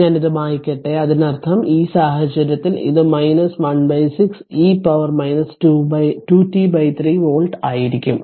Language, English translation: Malayalam, So, let me clear it so that means, in this case it will be minus 1 upon 6 e to the power minus 2 t upon 3 volt